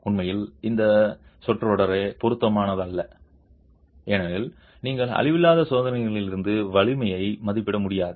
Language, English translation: Tamil, In fact that phrase itself is not appropriate because you can't estimate strength from non destructive testing